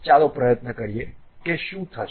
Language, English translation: Gujarati, Let us try that what will happen